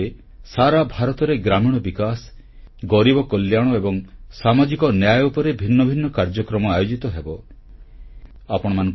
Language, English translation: Odia, Under the aegis of this campaign, separate programmes on village development, poverty amelioration and social justice will be held throughout India